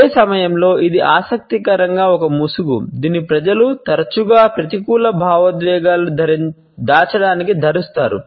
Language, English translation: Telugu, And at the same time this interestingly is also a mask which people often wear to hide more negative emotions